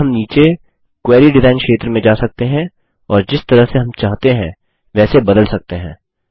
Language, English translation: Hindi, Now we can go to the query design area below and change it any way we want